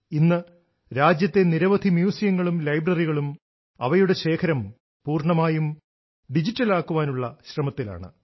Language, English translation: Malayalam, Today, lots of museums and libraries in the country are working to make their collection fully digital